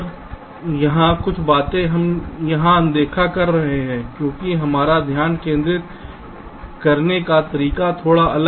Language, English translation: Hindi, ah, we are ignoring here, because our point of focus is a little different